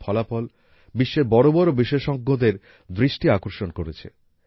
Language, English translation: Bengali, These results have attracted the attention of the world's biggest experts